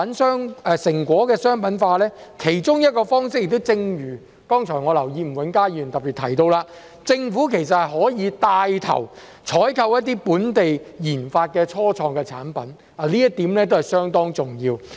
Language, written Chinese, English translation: Cantonese, 成果商品化的其中一個方式，我留意到吳永嘉議員剛才也特別提到，政府其實可以帶頭採購一些本地研發的初創產品，這一點是相當重要。, As regards one of the ways to commercialize the results I noticed that Mr Jimmy NG specifically mentioned earlier that the Government can actually take the lead in purchasing products developed by local start - ups